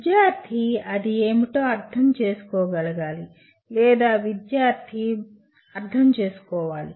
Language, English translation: Telugu, Student should be able to understand what it means or the student should be able to comprehend